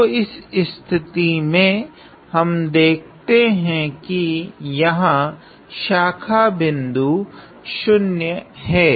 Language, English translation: Hindi, So, in this case we see that the branch point here is at S equal to 0